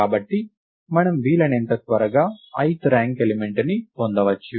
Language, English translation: Telugu, So, that we can get to the ith ranked element as quickly as possible